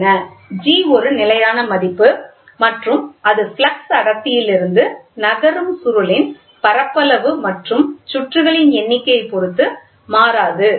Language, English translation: Tamil, G is a constant and it is independent of flux density the moving of the area of the moving coil and the number of turns